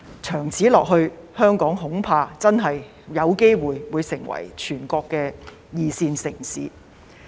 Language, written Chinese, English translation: Cantonese, 長此下去，香港恐怕會淪為全國的二線城市。, It the situation goes on we are afraid that Hong Kong will become a second tier city of the Mainland